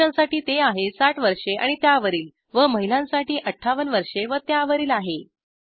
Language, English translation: Marathi, Men it is 60 years and above, for women it is 58 years and above